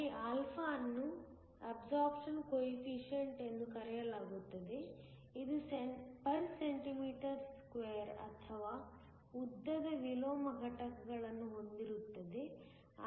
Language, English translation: Kannada, Where, α is called the absorption coefficient, it has units of cm 1 or length inverse